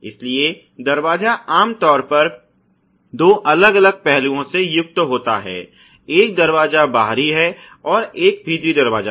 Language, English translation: Hindi, So, door typically is comprised of two different aspects; one is the door outer ok, and the door inner